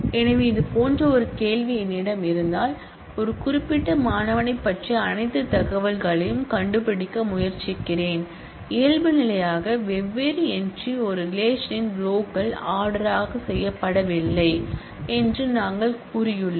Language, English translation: Tamil, So, if I have a query like this that I am trying to find out all information about a particular student then as we have said that by default the different entries the rows of a relation are unordered